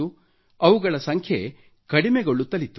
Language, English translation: Kannada, Their number was decreasing